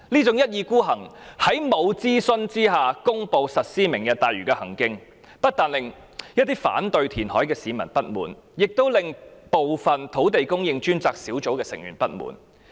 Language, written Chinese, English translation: Cantonese, 政府未經諮詢便公布實施"明日大嶼"的舉動，不但令反對填海的市民不滿，亦令部分專責小組成員不滿。, The Governments act of announcing Lantau Tomorrow without consultation has aroused the discontent of people opposing reclamation and some members of the Task Force